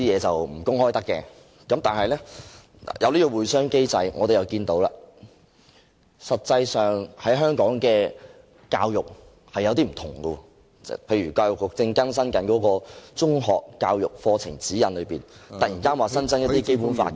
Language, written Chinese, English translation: Cantonese, 但是，我們看到，舉行了"會商機制會議"之後，香港的教育實際上出現了不同，例如教育局正更新《中學教育課程指引》，突然增加了一些《基本法》的......, Nevertheless we see that after the meetings of the meeting mechanism there are some changes to the education of Hong Kong . For instance the Education Bureau is updating the Secondary Education Curriculum Guide and the teaching of the Basic Law has suddenly be enhanced